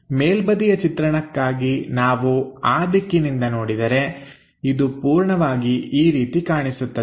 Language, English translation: Kannada, For the top view; if we are looking from that direction this entirely looks like that